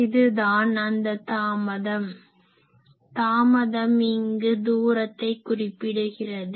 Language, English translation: Tamil, So, this is the delay that delay corresponds to the distance